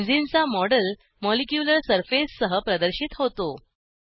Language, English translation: Marathi, The model of Benzene is displayed with a molecular surface